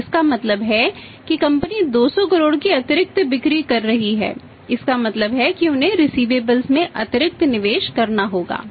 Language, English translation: Hindi, So it means the company value is making additional sales of worth 200 crore it means they will have to make additional investment in the receivables